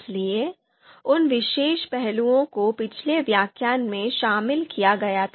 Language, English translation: Hindi, So those particular aspect we talked about in the previous lecture